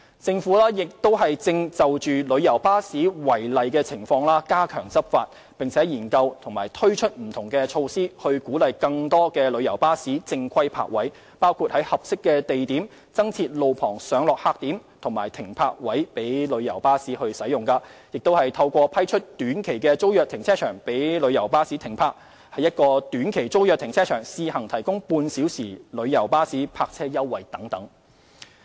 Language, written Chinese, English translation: Cantonese, 政府亦正就旅遊巴士違例情況加強執法，並研究及推出不同措施，以鼓勵更多旅遊巴士正規泊位，包括在合適地點增設路旁上落客點和停泊位供旅遊巴士使用、透過批出短期租約停車場供旅遊巴士停泊、在一個短期租約停車場試行提供旅遊巴士半小時泊位優惠等。, The Government is also stepping up enforcement actions against illegal coach parking as well as exploring and introducing different measures which include promoting the use of legal parking spaces by more coaches through the provision of additional roadside pick - updrop - off bays and parking spaces for coaches at appropriate locations letting car parks for coach parking on the basis of short - term tenancy STT piloting the provision of a half - hourly concessionary parking rate in an STT car park and so on